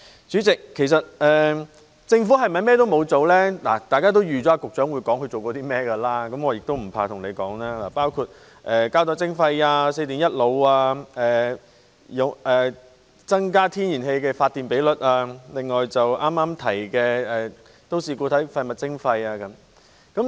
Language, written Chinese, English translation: Cantonese, 大家也預計局長一定會交代自己做過些甚麼，我也不妨告訴大家，包括膠袋徵費、四電一腦、增加天然氣發電比率，以及剛提到的都市固體廢物徵費等。, We expect that the Secretary will certainly give an account on what he has done . I might as well tell Members that it will include the plastic bag levy regulated electrical equipment increased ratio of natural gas in electricity generation and earlier - mentioned municipal solid waste charging